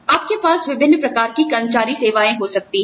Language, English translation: Hindi, You could have various types of employee services